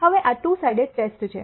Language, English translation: Gujarati, So, this is a two sided test